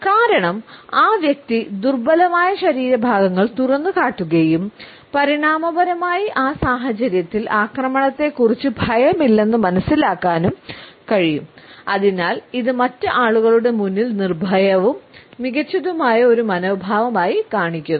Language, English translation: Malayalam, Because the person has exposed the vulnerable body parts and in evolutionary terms we can understand it as having no fear of attack in that situation and therefore, it displays a fearless and superior attitude in front of the other people